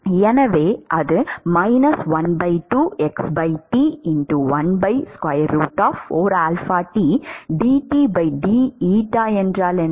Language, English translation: Tamil, So, what has happened